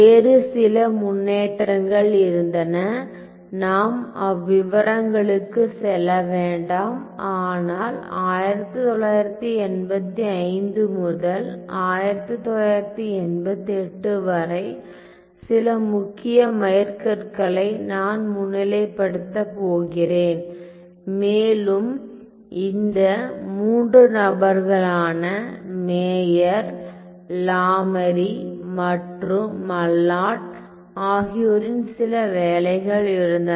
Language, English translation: Tamil, So, then there were several other developments which I am not going to go into great details, but I am going to highlight some of the major the major milestones between 85 to 88 there were certain work by these three people Meyer and Lamarie